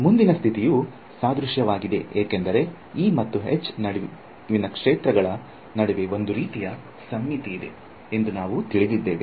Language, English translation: Kannada, The next condition is analogous because we have seen that there is a sort of symmetry between E and H fields